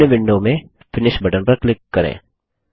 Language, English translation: Hindi, Click on the Finish button in the following window